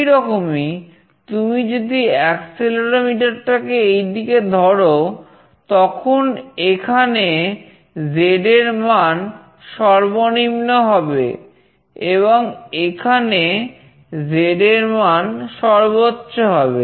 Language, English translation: Bengali, Similarly, if you hold the accelerometer in this direction, then the Z value will be minimum here, and the Z value will be maximum here